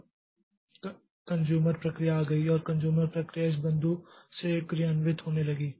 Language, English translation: Hindi, Now the consumer process came and the consumer process started executing from this point